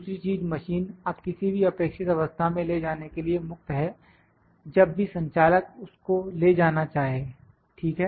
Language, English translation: Hindi, Second thing is that machine is now free to take it to the desired position wherever about the operator would like to take it to, ok